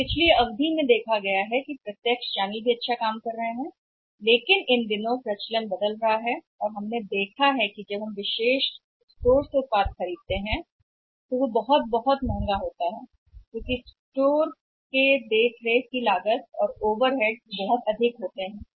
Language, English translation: Hindi, So, in the past period seen that directs channel is also working very well but these days now the trend is changing and their of also we have seen that what happens you might have seen that when we buy the product from the exclusive stores they are very, very expensive because cost of maintaining the store is very high overheads are very high